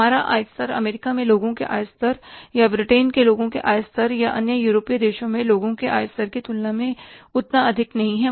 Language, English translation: Hindi, Our income level is not that much as compared to the income level of the people in US or the income level of people in UK or the income in the other European countries